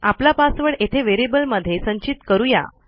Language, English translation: Marathi, We are going to store the password in a variable here